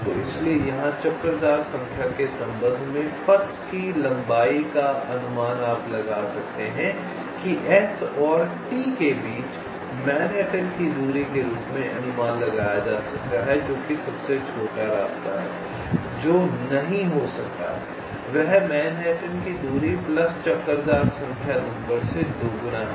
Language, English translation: Hindi, so that's why the length of the path with respect to the detour number, here you can estimate as the manhattan distance between s and t, which is the expected shortest path, which may not be there, that manhaatn distance plus twice the detour number